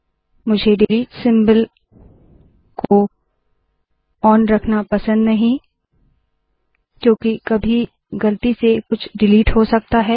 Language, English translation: Hindi, I do not like to leave delete symbol on, because I can accidentally delete something else